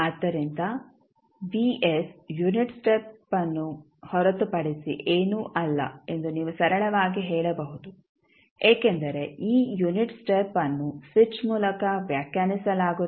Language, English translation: Kannada, So, you can simply say that vs is nothing but the unit step because this unit step is being defined by the switch